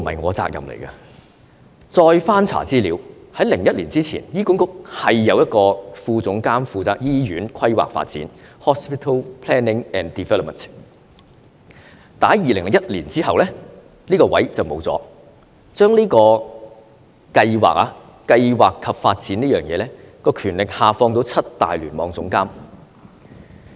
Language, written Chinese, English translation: Cantonese, 我再翻查資料，在2001年之前，醫管局有一名副總監負責醫院規劃發展，但是在2001年之後，這個職位不見了，將這個規劃及發展的權力下放到七大聯網總監。, I further checked the relevant information . Before 2001 there was a Deputy Director in HA responsible for hospital planning and development but after 2001 this position disappeared and this power pertaining to hospital planning and development was delegated to the seven Cluster Chief Executives